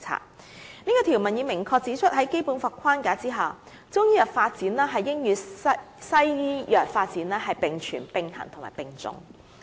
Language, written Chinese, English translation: Cantonese, "此項條文已明確指出在《基本法》框架下，中醫藥發展應與西醫藥發展並存、並行和並重。, This provision points out clearly that under the framework of the Basic Law traditional Chinese medicine and Western medicine should coexist and be attached equal importance